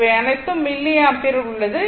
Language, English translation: Tamil, It is in milliampere